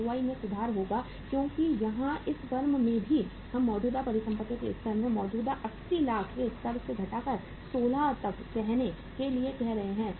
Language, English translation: Hindi, The ROI will improve because here in this firm also we are reducing the level of current assets from the existing level of 80 lakhs to uh say by 16